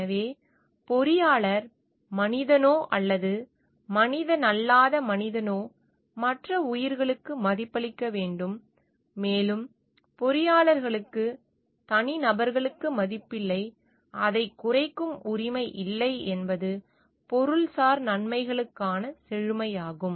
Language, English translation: Tamil, So, engineer should respect the fact the other life whether human or non human has a value in itself and engineers as individuals have no right to reduce it is richness for materialistic benefits